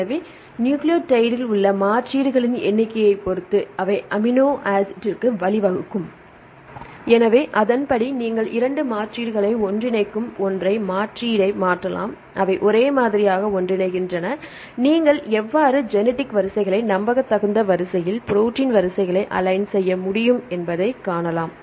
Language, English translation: Tamil, So, depending upon number of substitutions in the nucleotide they lead to the amino acid So, we can accordingly you can change single substitution they group together 2 substitutions, they group together right likewise, they can make the genetic code to see how you can reliably you can align the protein sequences